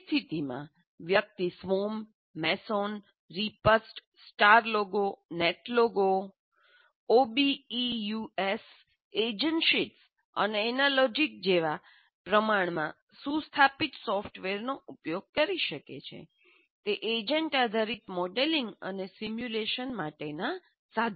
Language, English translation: Gujarati, In that case, this is fairly well established software like Swam, Massen, Repa, Star Logo, Net Logo, OBS, agent sheets, and any logic or tools for agent based modeling and simulation